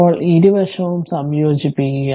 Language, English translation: Malayalam, Now, you integrate both side